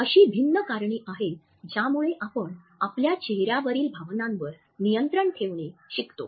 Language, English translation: Marathi, There are different reasons because of which we learn to control our facial expression of emotion